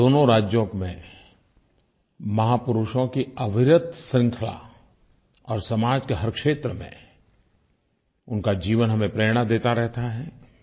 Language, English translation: Hindi, And both the states had a steady stream of great men whose lives and sterling contributions in every sphere of society is a source of inspiration for us